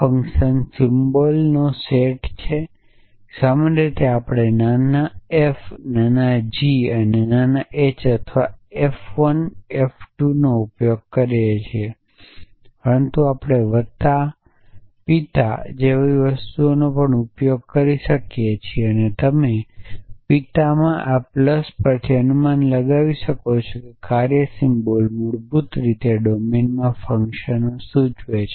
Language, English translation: Gujarati, Then so this is P F is the set of function symbols typically we use small f small g small h or f 1 f 2, but we could also use things like plus father and so on and as you can guess from this plus in father that function symbols basically denote functions in the domain essentially